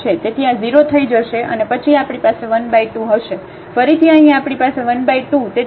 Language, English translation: Gujarati, So, this will become 0 and then we have 1 over 2, again here we have 1 over 2 so 1 over 5 and y minus 1 square